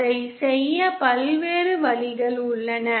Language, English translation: Tamil, There are various ways of doing it